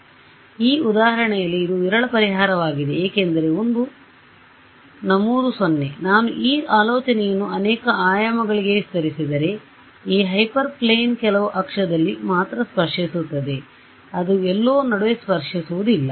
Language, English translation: Kannada, So, in this very toy example it is a sparse solution because one entry is 0, if I expand this idea to multiple dimensions this hyper plane will touch at some axis only, it will not touch somewhere in between